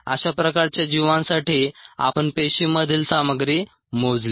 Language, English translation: Marathi, we measured the contents of the cell